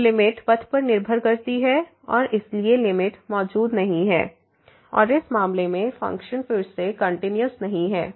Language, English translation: Hindi, So, limit depends on path and hence the limit does not exist and the function is not continuous again in this case